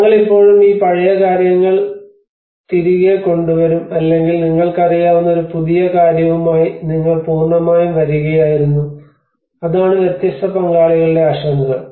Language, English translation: Malayalam, Or we will still bring back these old things or you were completely coming with a new thing you know that is whole thing the concerns of the different stakeholders